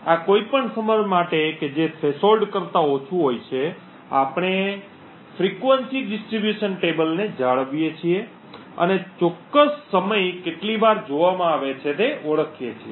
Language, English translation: Gujarati, So, for any of these timing which is less than the threshold we maintain something known as a frequency distribution table and identify how often a particular time is observed